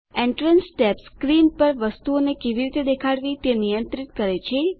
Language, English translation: Gujarati, The Entrance tab controls the way the item appears on screen